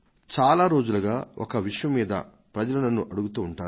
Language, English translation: Telugu, Since a long time people have been asking me questions on one topic